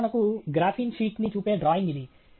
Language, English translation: Telugu, This is for example, a drawing of say a graphene sheet here